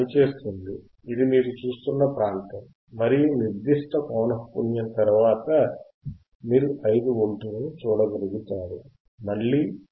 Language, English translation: Telugu, It is working, this is the area that you are looking at, this is the area you are looking at and after certain frequency you will be able to see 5 Volts again